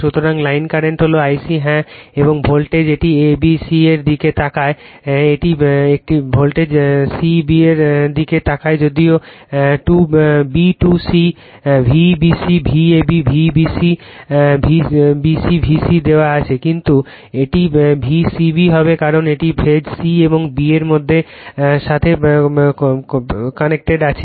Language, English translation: Bengali, So, line current is I c , yeah and your voltage it looks at the a b c , it looks at voltage c b right although b to c, V b c, V a b, V b c b c is given, but it will be V c b because this is the phase c and this is connected to b